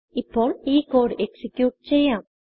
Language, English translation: Malayalam, Now lets check by executing this code